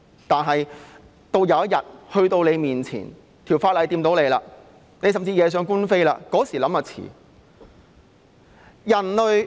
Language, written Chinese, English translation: Cantonese, 但是，有一天法例影響到你，甚至惹上官非，屆時才想就太遲了。, However it will be too late to think about this if the legislation affects them one day or if they are caught by the law